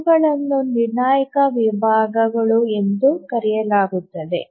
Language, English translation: Kannada, So these are called as the critical sections